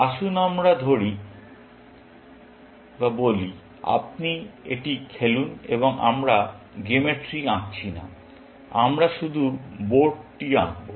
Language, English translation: Bengali, Let us say you play this and we are not drawing the game tree; we will just draw the board